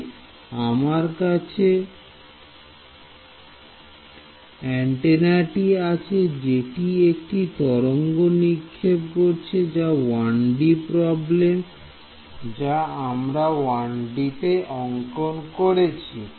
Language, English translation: Bengali, So, I have my antenna over here now what it is doing it is sending out of field like this let us say 1D problem some trying to draw it in 1D